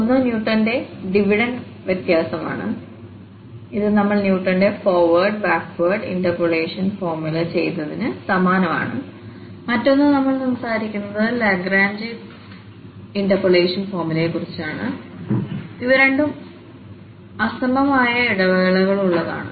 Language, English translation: Malayalam, So, the one is Newton's Divided difference which is quite similar to what we have done Newton's forward and backward interpolation formulas and the other one we will be talking about the Lagrange interpolation formula and these both are for unequal intervals